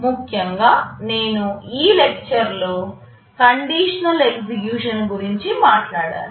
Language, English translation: Telugu, In particular I have talked about the conditional execution in this lecture